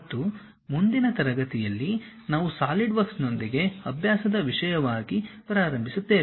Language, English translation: Kannada, And in the next class, we will begin with Solidworks as a practice thing